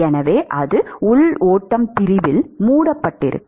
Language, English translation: Tamil, And so, that is that will be covered in the internal flow section